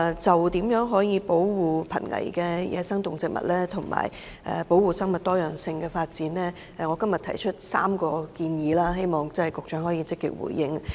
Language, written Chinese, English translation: Cantonese, 就如何保護瀕危野生動植物及生物多樣性，我今天提出3項建議，希望局長可以積極回應。, As regards how to protect the endangered species and promote biodiversity I will make three suggestions today and hope the Secretary will give a positive response